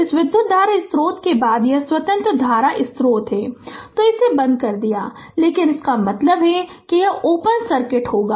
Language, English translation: Hindi, Next this current source, it is independent current source; So, turned it off, but means it will be open circuit right